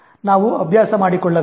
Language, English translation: Kannada, We need to practice